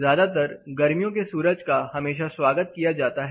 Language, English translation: Hindi, Mostly you know the summer sun is always welcome